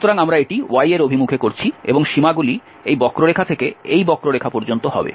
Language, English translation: Bengali, So we are doing this in the direction of y and the limits will be from this curve to this curve